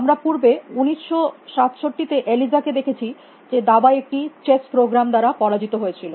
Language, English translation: Bengali, we have seen Eliza earlier in 1967 refers to a beaten by a chess program at chess